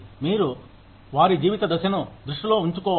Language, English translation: Telugu, You need to keep, their life stage in mind